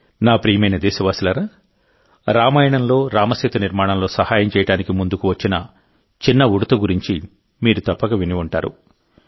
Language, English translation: Telugu, My dear countrymen, you must have heard about the tiny squirrel from the Ramayana, who came forward to help build the Ram Setu